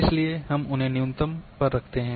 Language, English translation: Hindi, So, that we keep them at the minimum